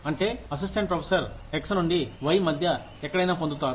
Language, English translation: Telugu, That, an assistant professor will get, anywhere between X to Y